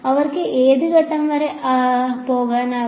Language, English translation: Malayalam, Till what point can they go